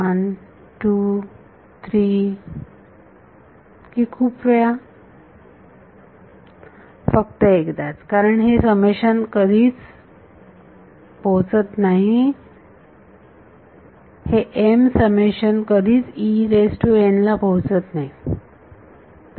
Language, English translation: Marathi, 1, 2, 3 or many times, only once because, the summation never reaches, the m summation never reaches E n